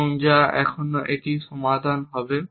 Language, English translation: Bengali, So, what is a solution